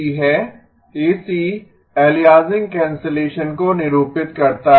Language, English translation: Hindi, This is the AC, AC stands for aliasing cancellation